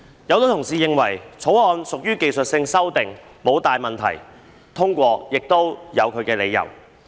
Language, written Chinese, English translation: Cantonese, 有很多同事認為《條例草案》屬技術性修訂，沒有大問題，通過是合理的。, Many Honourable colleagues consider that the Bill carries merely technical amendments without major problems so its passage is justified